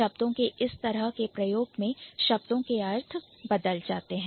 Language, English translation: Hindi, So, this is one way by which the meaning of the word changes